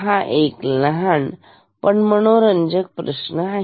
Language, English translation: Marathi, So, this is a small interesting question